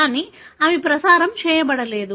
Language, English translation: Telugu, But, they are not transmitted